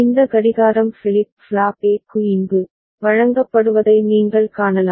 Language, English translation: Tamil, And you can see this clock is fed here to flip flop A